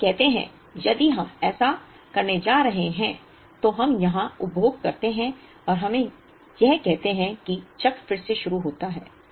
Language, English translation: Hindi, So, let us say that if we are going to do this we consume here and let us say the cycle begins again